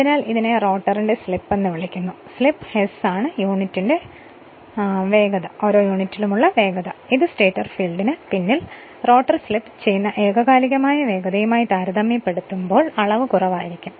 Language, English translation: Malayalam, So, so it is called slip of the rotor right the slip s is the per unit speed this is dimension less quantity with respect to synchronous speed at which the rotor slips behind the stator field right